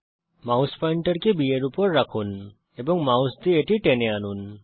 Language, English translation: Bengali, I will choose B Place the mouse pointer on B and drag it with the mouse